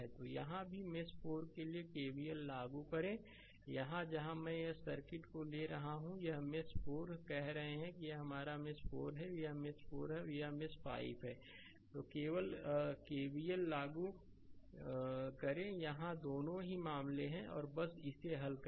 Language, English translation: Hindi, So, here also for mesh 4 you apply KVL, here where I am taking this circuit this is you are calling mesh 4 right, this is your mesh 4, this is mesh 4 and this is mesh 5 you apply KVL here right both the cases and just solve it